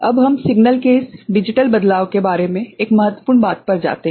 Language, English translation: Hindi, Now, we go to a very important thing about this digital manipulation of signal